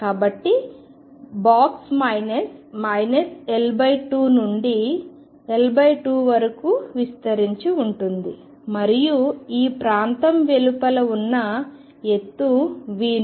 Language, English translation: Telugu, So, the box extends from minus L by 2 to L by 2 and the height outside this region is V 0